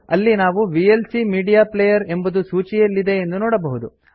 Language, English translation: Kannada, Here we can see that vlc media player is listed